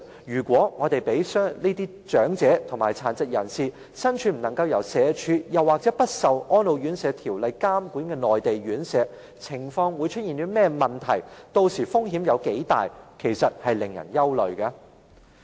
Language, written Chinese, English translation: Cantonese, 如果長者或殘疾人士身處不受社會福利署或《安老院條例》監管的內地院舍，屆時會出現甚麼情況，或會有多大風險呢？, If elderly persons or disables persons are living in Mainland care homes which are not regulated by the Social Welfare Department SWD or under the Residential Care Homes Ordinance what will happen to them and how big a risk they have to take?